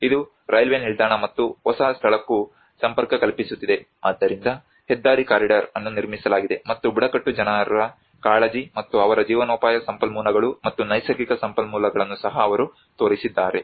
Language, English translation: Kannada, Which is connecting to the railway station and the new location as well so the highway corridor has been constructed and this is how they even showed the concern of the tribal people and their livelihood resources and also the natural resources as well